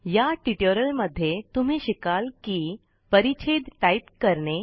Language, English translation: Marathi, In this tutorial, you will learn how to: Type phrases